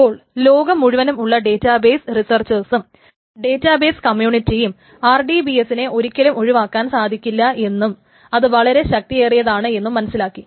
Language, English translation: Malayalam, Then the database researchers and the database community all over the world realized that the RDBMS is just too powerful to ignore